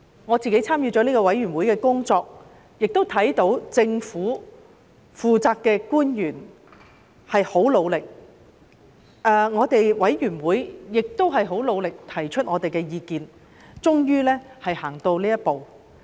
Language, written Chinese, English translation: Cantonese, 我有份參與有關法案委員會的工作，看到負責的政府官員十分努力，法案委員會亦十分努力提出我們的意見，大家終於走到這一步。, Having engaged in the Bills Committees work I could see the hard work of the government officials in charge as well as the efforts of the Bills Committee in voicing our views . Well we have made it at long last